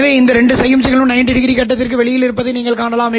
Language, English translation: Tamil, So, you can see that these two signals are 90 degree out of phase